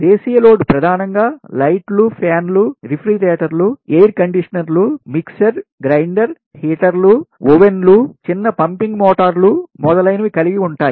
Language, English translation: Telugu, domestic load mainly consists of lights, fans, refrigerators, air conditioners, mixer grinders, heaters, ovens, small pumping motors, etc